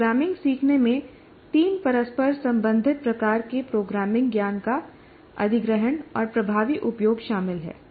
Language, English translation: Hindi, Learning programming involves the acquisition and effective use of three interrelated types of programming knowledge